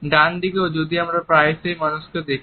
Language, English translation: Bengali, Onto the right whereas, we have quite often see people